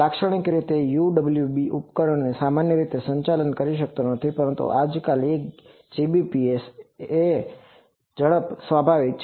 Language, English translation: Gujarati, Typically, UWB devices may operate not typically, but excess of 1 Gbps is quite natural nowadays